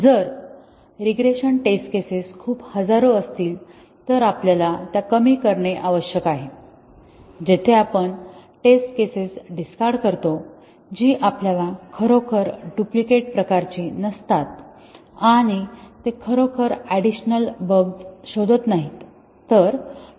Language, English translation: Marathi, If the regression test cases are too many thousands then we might need to do minimization, where we remove test cases which you do not really they are kind of duplicates and they do not really detect additional bugs